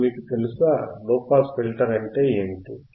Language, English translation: Telugu, Now you know, what are active filters